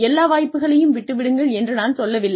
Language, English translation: Tamil, I am not saying, let go of, all the opportunities